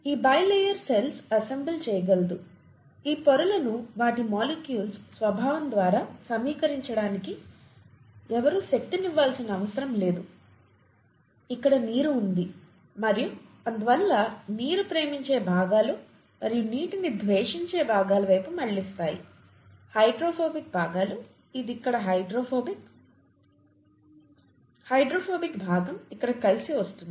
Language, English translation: Telugu, And this bilayer can self assemble, nobody needs to put in any energy to assemble these layers by the very nature of their molecules, here is water, here is water and therefore the water loving parts will orient towards water and the water hating parts, the hydrophobic parts, this is hydrophobic here, hydrophobic part will come together here